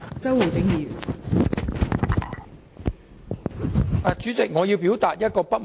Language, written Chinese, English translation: Cantonese, 代理主席，我要就其中一點表達不滿。, Deputy President I must express discontent about one point